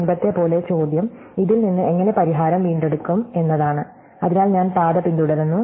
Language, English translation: Malayalam, And as before now the question is how do I recover the solution from this, so I follow the path